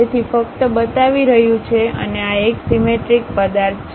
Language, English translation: Gujarati, So, just showing and this is a symmetric object